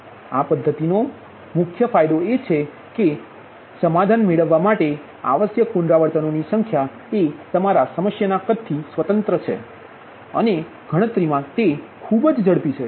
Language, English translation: Gujarati, main advantage of this method is that the number of iterations required to obtain a solution is independent of the size of the your problem and computationally it is very fast